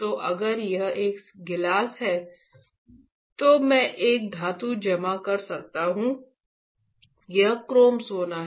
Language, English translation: Hindi, So, if this is a glass right then I can deposit a metal, this is chrome gold alright